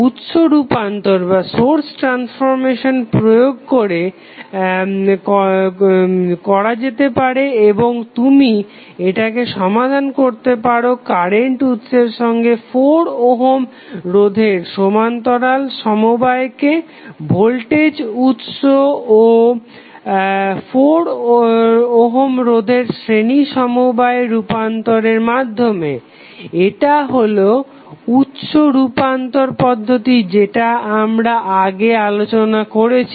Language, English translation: Bengali, You can apply source transformation and you can solve it by converting the combination of current source in parallel with 4 ohm resistance with the voltage source in series with 4 ohm resistance that is the source transformation technique which we studied earlier